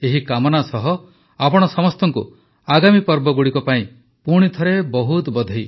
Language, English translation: Odia, With this wish, once again many felicitations to all of you for the upcoming festivals